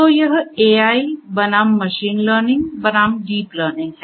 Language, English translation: Hindi, So, this is AI versus machine learning versu, deep learning